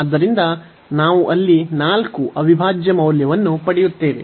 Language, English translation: Kannada, So, we will get 4 the integral value there